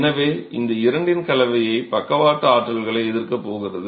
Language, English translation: Tamil, So, it's a combination of these two that's going to be resisting the lateral forces